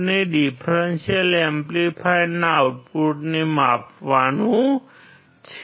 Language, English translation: Gujarati, We have to measure the output of the differential amplifier